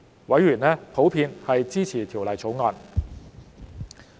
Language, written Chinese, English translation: Cantonese, 委員普遍支持《條例草案》。, Members in general support the Bill